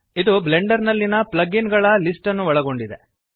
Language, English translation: Kannada, This contains a list plug ins in blender